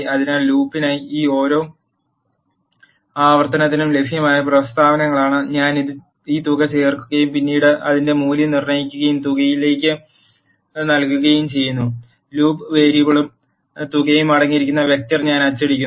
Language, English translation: Malayalam, So, in the for loop these are the statements that are available for every iteration I am adding this sum and then iter value and assigning it to the sum, and I am printing the vector which is containing the loop variable and sum